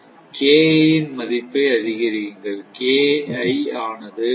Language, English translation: Tamil, Then, increase the value of KI is equal to say, 0